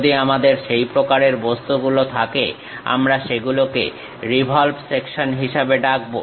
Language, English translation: Bengali, If we are having that kind of objects, we call that as revolve sections